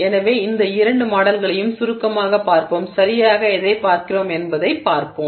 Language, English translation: Tamil, So, we will briefly look at both these models and see what exactly we are looking at